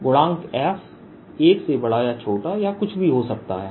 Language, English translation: Hindi, f could be greater than one, smaller than or whatever